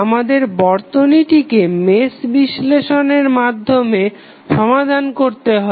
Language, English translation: Bengali, We have to solve the circuit using mesh analysis